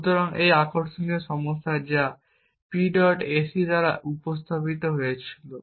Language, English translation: Bengali, So, one interesting problem which was raised by a P